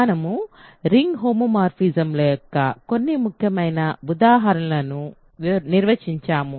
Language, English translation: Telugu, So, we have defined and looked at some important examples of ring homomorphisms